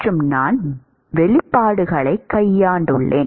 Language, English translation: Tamil, And I have just manipulated the expressions